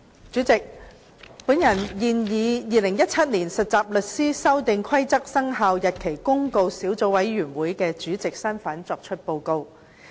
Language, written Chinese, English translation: Cantonese, 主席，我現以《〈2017年實習律師規則〉公告》小組委員會主席的身份作出報告。, President I report in my capacity as Chairman of the Subcommittee on Trainee Solicitors Amendment Rules 2017 Commencement Notice